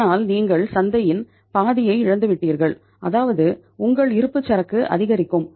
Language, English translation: Tamil, But you have lost half of the market it means your inventory will mount